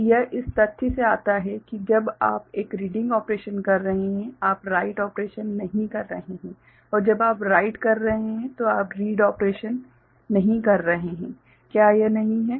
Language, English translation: Hindi, So, this comes from the fact that when you are doing a reading operation; you are not doing write operation and when you are writing you are not doing the read operation; isn’t it